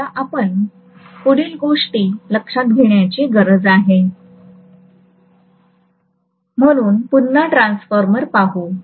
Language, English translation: Marathi, Now the next thing that we need to consider is, so let me look at the transformer again